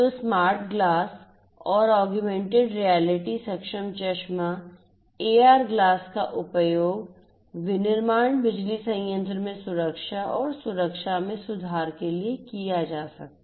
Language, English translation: Hindi, So, smart glasses and augmented reality enabled glasses AR glasses could be used to improve the safety and security in a manufacturing power plant